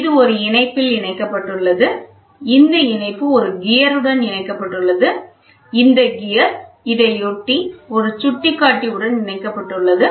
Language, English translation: Tamil, This, in turn, is attached to a link, this link is attached to a gear, this gear, in turn, is attached to a pointer